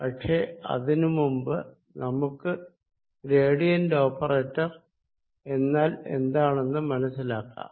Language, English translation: Malayalam, but before that let us understand what this gradient operator means